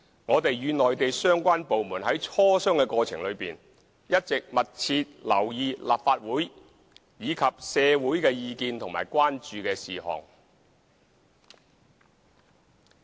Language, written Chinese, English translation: Cantonese, 我們與內地相關部門在磋商過程中，一直密切留意立法會及社會的意見和關注事項。, In the course of our discussions with the relevant Mainland departments we have paid close attention to the views and concerns of the Legislative Council and the community